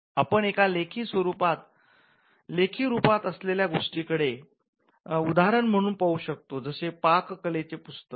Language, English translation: Marathi, Now, we can look at an instance of a written work for instance a cookbook